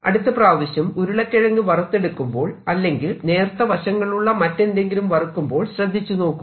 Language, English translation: Malayalam, do i see that next time you take some potato fries or something else which is fried with sharp edges